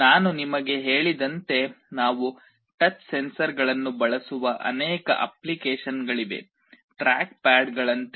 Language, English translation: Kannada, As I told you there are many applications where we use touch sensors; like track pads